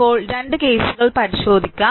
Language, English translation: Malayalam, So now, let us examine the 2 cases